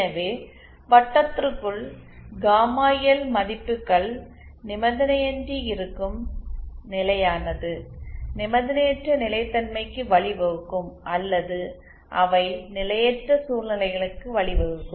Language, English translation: Tamil, so, Either gamma L values inside the circle will be unconditionally stable will lead to unconditional stability or they will lead to potentially instable situations